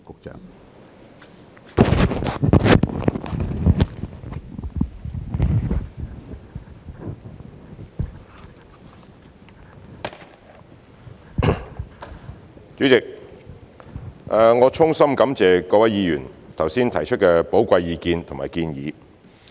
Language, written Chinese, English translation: Cantonese, 主席，我衷心感謝各位議員剛才提出寶貴的意見和建議。, President I would like to extend my heartfelt thanks to Members for their valuable views and suggestions given earlier